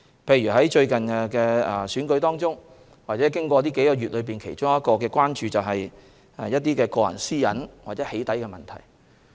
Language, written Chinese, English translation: Cantonese, 例如在最近的選舉中或這數個月，其中一項關注是個人私隱或"起底"問題。, For example in the last election or over the last few months the issues of personal privacy or doxxing have emerged as a concern